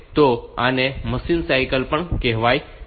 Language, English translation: Gujarati, So, this is also called a machine cycle